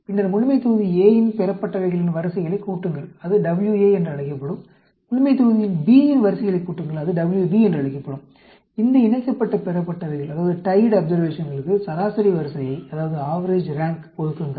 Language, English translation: Tamil, Then, sum the ranks of the observations from population A separately, that will be called WA; sum the ranks of population B, that will be called WB; assign average rank to these tied observations